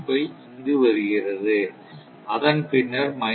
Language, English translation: Tamil, 25, then, minus 1